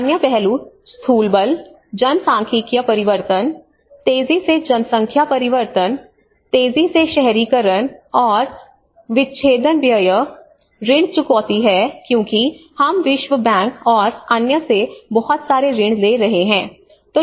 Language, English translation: Hindi, The other aspects are the macro forces, the demographic change you know the rapid population change, rapid urbanisations and the amputation expenditure, the debt repayment because we have been taking lot of loans from world bank and other things